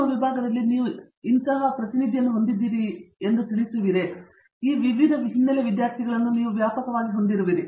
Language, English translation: Kannada, You mentioned that you know in your department you have wide range of different faculty so perceivably you also have a wide range of different students in terms of background